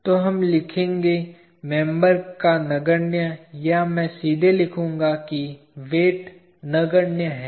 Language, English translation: Hindi, So, we will write members have negligible, I will straight away write, weight